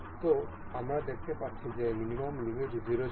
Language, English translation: Bengali, So, we can see the minimum limit was 0